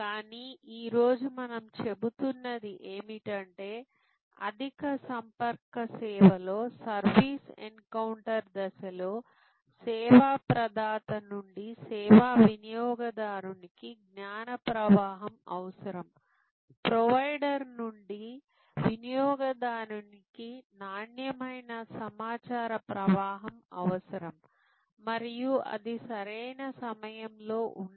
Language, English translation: Telugu, But, what we are saying today is that in the service encountered stage in the high contact service, there is a higher level of need for knowledge flow from the service provider to the service consumer, quality information flow from the provider to the consumer and it has to be at right points of time